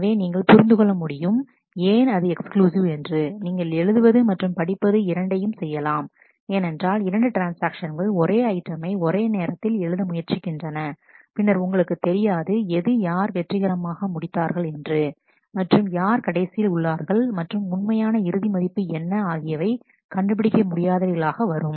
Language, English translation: Tamil, So, as you can understand why is it exclusive, when you do read write because if two transactions try to write the same item at the same time, then you do not know what is who has been successful and who is the last right and what is the actual final value they will become indeterminate